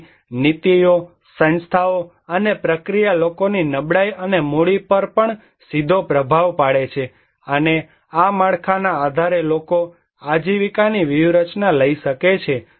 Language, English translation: Gujarati, So, policies, institutions, and process also directly influence the vulnerability and the capital of people and based on this framework people take livelihood strategy or they can take livelihood strategy